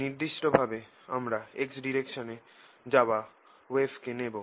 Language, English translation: Bengali, in particular, i am going to take a wave travelling in the x direction